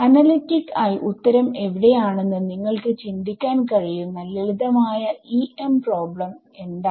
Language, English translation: Malayalam, So, what is the simplest EM problem you can think of where you know the answer analytically